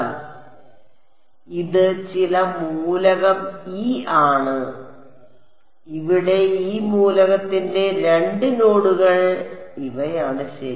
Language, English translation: Malayalam, So, this is some element e, these are the two nodes of this element over here ok